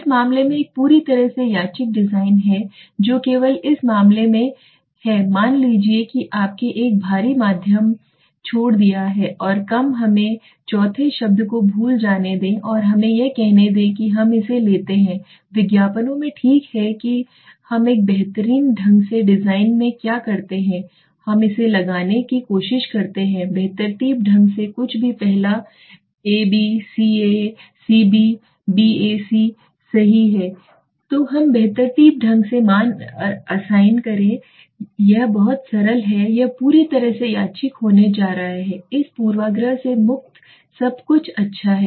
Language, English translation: Hindi, What is a completely randomized design in suppose in this case only suppose you would have taken left a heavy medium and low let us forget the fourth word and let us say we take the commercials okay the commercials what we do in a randomly design random is we try to put it randomly anything right the first a b c a c b b a c so we do anything so what happens is when we randomly assign the values it is very simple this is going to completely randomized it is very simple this free of bias everything is good